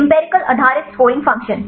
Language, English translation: Hindi, Empirical based scoring function